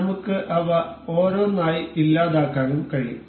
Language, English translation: Malayalam, We can delete each of them one by one